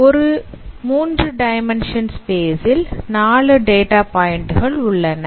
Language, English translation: Tamil, So it's a three dimensional space and there are four data points